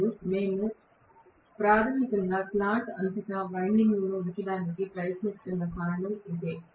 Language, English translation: Telugu, And that is the reason why we are trying to put the windings throughout the slot basically